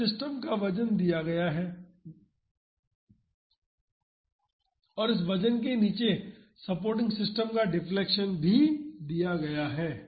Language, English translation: Hindi, So, it is given the weight of the system and it is also given the deflection of the supporting system under the weight